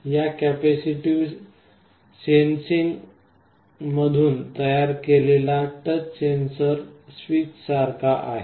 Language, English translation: Marathi, The touch sensor that is built out of this capacitive sensing is similar to a switch